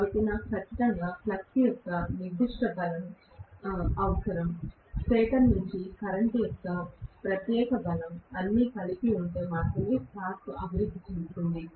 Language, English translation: Telugu, So, I will need definitely particular strength of the flux, particular strength of the current from the stator side, all that put together only will develop a torque